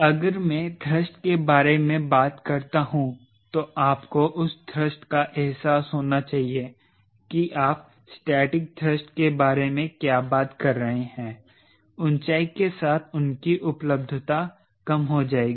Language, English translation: Hindi, if i talk about thrust, so realize that thrust, what you are talking about, static thrust, their availability with altitude will drop